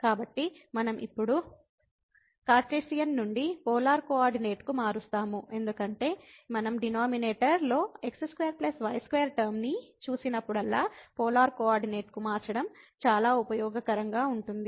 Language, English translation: Telugu, So, we will change now from Cartesian to the polar coordinate, because whenever we see the square plus square term in the denominator than this changing to polar coordinate is very, very useful